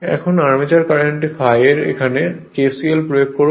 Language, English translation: Bengali, Now armature current, this I a at this point, you apply kcl